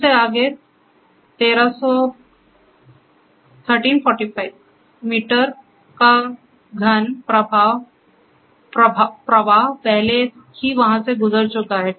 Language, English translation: Hindi, From that point forwards 1345 meter cube of flow has already been passed throughout there